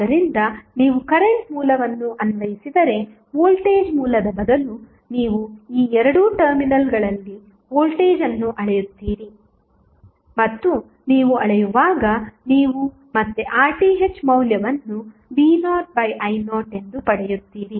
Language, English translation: Kannada, So, instead of voltage source if you apply current source you will measure the voltage across these two terminals and when you measure you will get again the value of R Th as v naught upon i naught